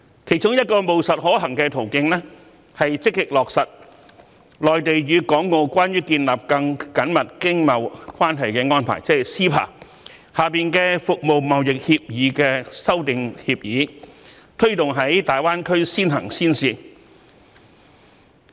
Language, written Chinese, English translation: Cantonese, 其中一個務實可行的途徑，是積極落實《內地與香港關於建立更緊密經貿關係的安排》下《服務貿易協議》的修訂協議，推動於大灣區先行先試。, A pragmatic and feasible option is to proactively implement the Agreement Concerning Amendment to the Agreement on Trade in Services under the framework of the MainlandHong Kong Closer Economic Partnership Arrangement ie